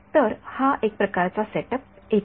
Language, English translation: Marathi, So, this is sort of step 1